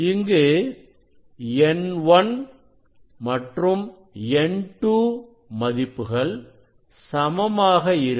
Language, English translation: Tamil, it is say n 1 or n 2, they are equal